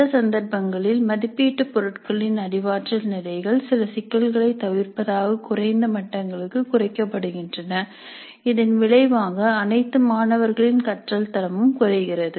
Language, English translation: Tamil, And in some cases the cognitive levels of assessment items are reduced to lower levels to avoid some of these issues resulting in reducing the quality of learning of all students